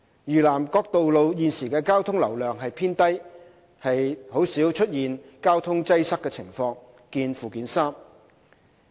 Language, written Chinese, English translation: Cantonese, 嶼南各道路現時的交通流量偏低，鮮有交通擠塞的情況。, Currently the traffic volumes of the roads in South Lantau are also low and traffic congestion is rare see Annex 3